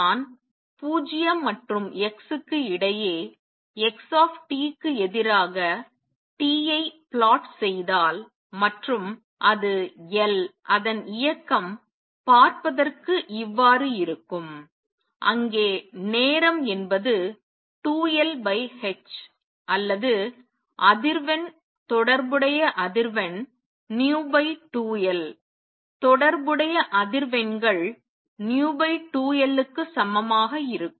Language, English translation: Tamil, If I plot x t versus t between 0 and x equals L the motion looks like this, where this time is equal to 2L over h or the frequency corresponding frequency 2L over v corresponding frequencies v over 2L